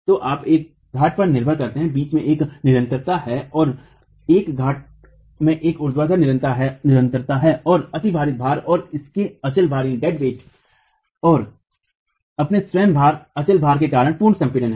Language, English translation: Hindi, So you construct a peer, there is a continuity between, there is a vertical continuity in a peer and there is pre compression because of the superimposed loads and its dead weight and its own dead weight